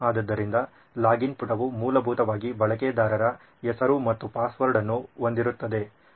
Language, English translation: Kannada, So the login page would essentially have a username and a password right and then ok button probably